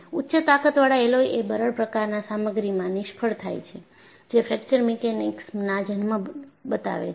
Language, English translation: Gujarati, The high strength alloys fail in a brittle fashion has prompted the birth of Fracture Mechanics